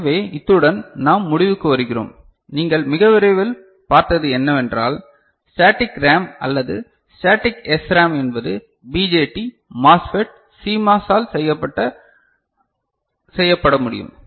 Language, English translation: Tamil, So, with this we conclude and what you have seen very quickly that static RAM or SRAM can be made with BJT, MOSFET, CMOS ok